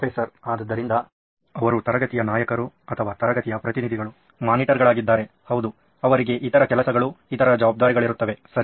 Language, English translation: Kannada, So if they are monitors of the class or class leaders or representative’s classes yes they can have other jobs to do, other responsibilities, okay